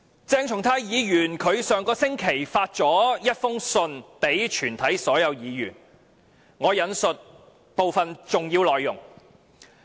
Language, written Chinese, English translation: Cantonese, 鄭松泰議員於上星期向全體議員發出了一封信，我引述部分重要內容。, Last week Dr CHENG Chung - tai issued a letter to all Members of the Legislative Council and I will quote an important part of the content of his letter